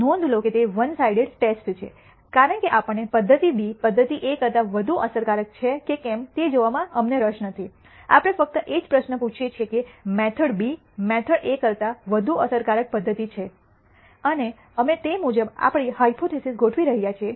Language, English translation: Gujarati, Notice that it is a one sided test because we are not interested in looking at whether method A is more e ective than method B, we are only asking the question is method B more e ective than method A and we are setting up our hypotheses accordingly